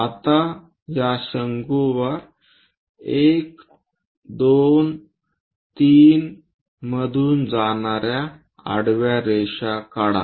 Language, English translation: Marathi, Now draw horizontal lines passing through 1, 2, 3 on this cone